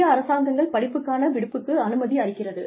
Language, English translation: Tamil, Indian government gives a study leave